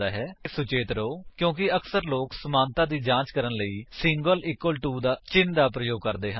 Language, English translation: Punjabi, Please be careful because, often people use a single equal to symbol for checking equality